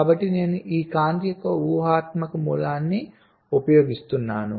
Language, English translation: Telugu, so i am using an imaginary source of light from this side